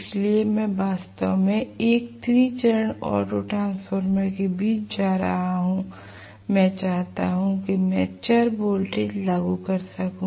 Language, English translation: Hindi, So, I am going to have actually a 3 phase auto transformer sitting in between so that I will able to apply variable voltage if I want to